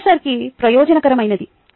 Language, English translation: Telugu, its professor efficient